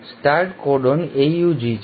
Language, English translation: Gujarati, The start codon is AUG